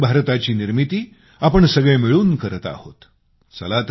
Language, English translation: Marathi, In fact, this is the New India which we are all collectively building